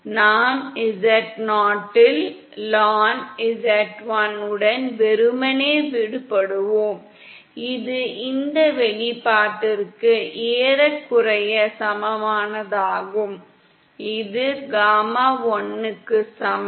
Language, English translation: Tamil, And we will be left simply with lnzl upon z0 which is gain approximately equal to this expression, which is equal to gamma l